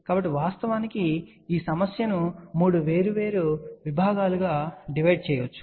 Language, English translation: Telugu, So, we can actually speaking divide this problem into 3 separate segments